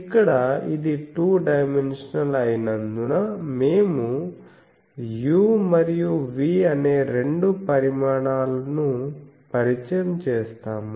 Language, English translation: Telugu, So, here since it is two dimensional, we will introduce the two quantities u and v